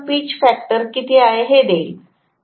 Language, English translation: Marathi, That is going to give me how much is the pitch factor